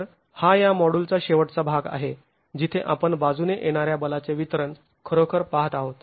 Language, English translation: Marathi, So that's the last part of this particular module where we are really examining distribution of lateral force